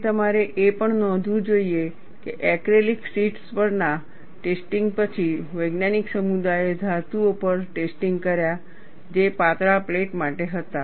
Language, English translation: Gujarati, And you should also note, after the tests on acrylic sheets, the scientific community did tests on metals, that were for thin plates